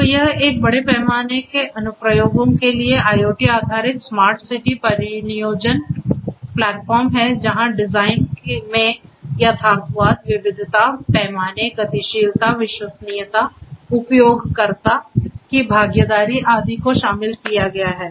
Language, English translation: Hindi, So, this is an IoT based smart city development sorry deployment platform for large scale applications where; the design considerations are with respect to the experimentation, realism, heterogeneity, scale, mobility, reliability user involvement and so on